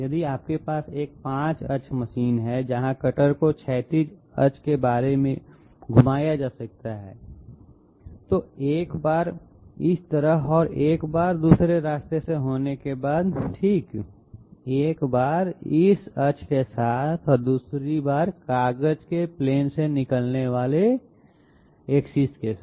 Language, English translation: Hindi, If you have a 5 axis machine where the cutter can be rotated about horizontal axis, once this way and once the other way okay, once along this axis and another time along the axis coming out of the plane of the paper